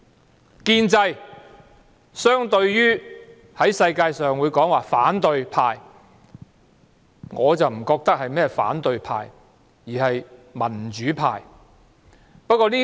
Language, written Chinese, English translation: Cantonese, 在國際上，建制相對的就是反對派，但我覺得在香港，他們不是反對派而是民主派。, On the international level the opposite side of the pro - establishment camp is the opposition camp . But I think in Hong Kong it is not the opposition camp but the democratic camp